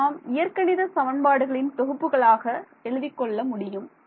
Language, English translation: Tamil, So, I can write this, I can write this as a system of algebraic equations ok